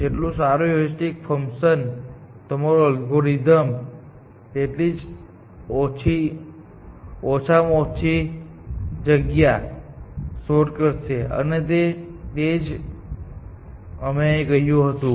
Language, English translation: Gujarati, The better the heuristic function is, lesser the amount of space, that your algorithm will explore, and that is what we said here